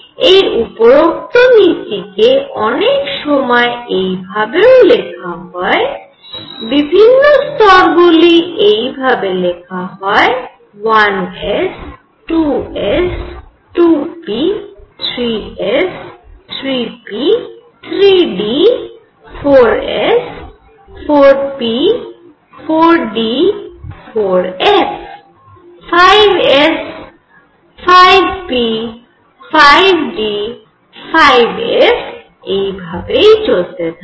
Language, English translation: Bengali, Now the above principle at times is also written like this, you write the levels 1 s, 2 s, 2 p, 3 s, 3 p, 3 d, 4 s, 4 p, 4 d, 4 f, 5 s, 5 p, 5 d, 5 f and so on